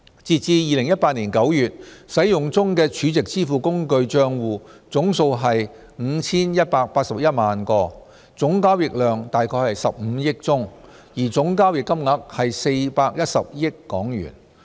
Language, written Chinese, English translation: Cantonese, 截至2018年9月，使用中的儲值支付工具帳戶總數為 5,181 萬個，總交易量約為15億宗，而總交易金額為410億港元。, As at September 2018 there were 51.81 million SVF accounts in use with the number and value of transactions being around 1.5 billion and 41 billion respectively